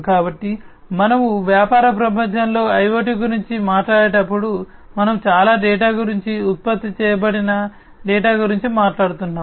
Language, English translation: Telugu, So, when we talk about IoT in a business world, we are talking about lot of data, data that is generated